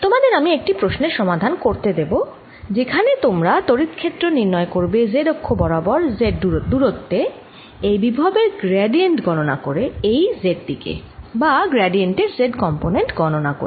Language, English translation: Bengali, as simple as that in your assignment i will give you a problem: to calculate the electric field in that z direction, at z, by taking gradient of this potential in this z direction, or or the z component of the gradient